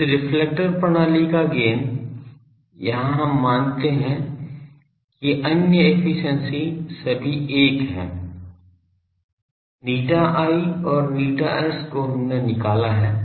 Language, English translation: Hindi, Gain of this reflector system; here we assume that other efficiencies are all 1; eta i and eta s we have calculated